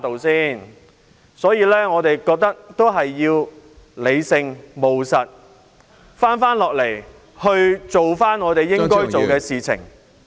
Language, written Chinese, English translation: Cantonese, 所以，我們應理性、務實地做好我們應做的事。, Thus we have to proceed with what we should do in a rational and practical manner